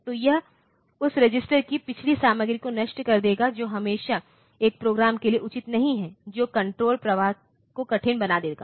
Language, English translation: Hindi, So, that will that will destroy the previous content of a register which is not always advisable for a program that will make the control flow difficult